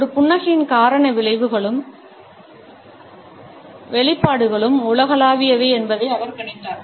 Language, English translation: Tamil, He noticed that the cause consequences and manifestations of a smile are universal